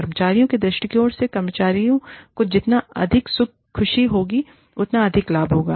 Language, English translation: Hindi, From the perspective of the employee, the higher, the benefits, the happier, the employee will be